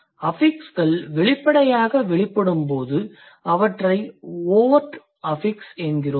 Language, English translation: Tamil, When the affixes are overtly manifested, we are calling it overt affixes